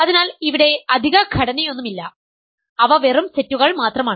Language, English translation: Malayalam, So, there is no additional structure here, they are just sets